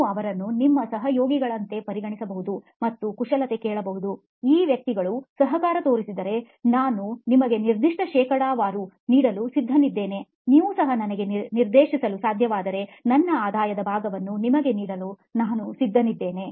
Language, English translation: Kannada, You could treat them as your collaborators and say hey, if these guys show up, I am ready to give you certain percentage, I am ready to give you my portion of the revenue if you can also direct them to me